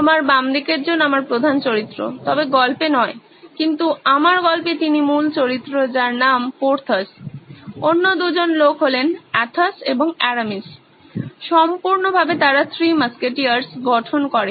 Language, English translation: Bengali, The one on your left is my main character well not in the story but in my story he is the main character called Porthos, the other 2 guys are Athos and Aramis totally they make the Three Musketeers